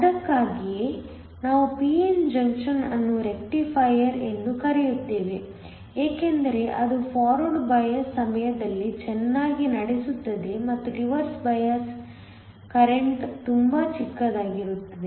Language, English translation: Kannada, This is why we essentially call a p n junction to be a rectifier because it conducts very well during forward bias and the reverse biased current is very small